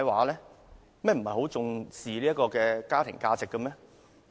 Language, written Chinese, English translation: Cantonese, 你們不是很重視家庭價值嗎？, Is it not true that you treasure family values?